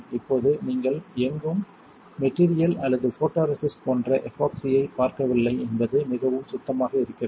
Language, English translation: Tamil, Now, it is pretty clean you do not see any kind of epoxy like material or photoresist anywhere